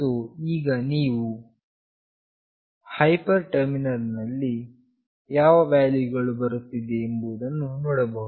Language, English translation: Kannada, So, now you can see in the hyper terminal what values you are getting